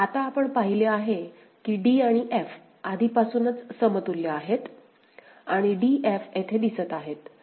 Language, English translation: Marathi, Now, we have seen that d and f are already equivalent because of this right and d f appears here, appears here